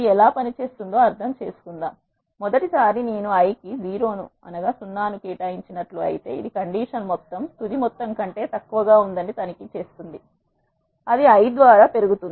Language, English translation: Telugu, Let us understand how does it works; for the first time i is 0 it will check the condition sum is less than final sum, the condition is true what it does is it will increment the i by 1